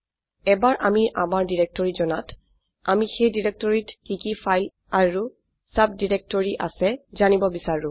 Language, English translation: Assamese, Once we know of our directory we would also want to know what are the files and subdirectories in that directory